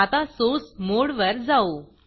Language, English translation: Marathi, Now switch to the Source mode